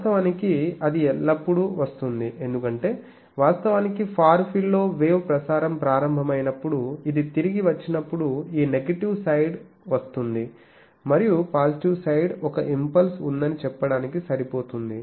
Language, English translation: Telugu, Actually that will always come, because actually in the far field the wild up web is getting launched that there is a direct return that gives you this one negative side, but with that these positive side is enough to say that there is an impulse present